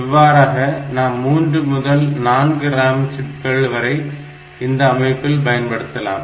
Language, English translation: Tamil, So, that way we have got 3 – 4 RAM chips in this system